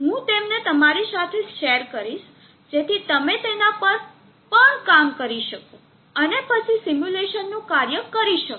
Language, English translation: Gujarati, I will share them with you, so that you can also work on it, and then make the simulation work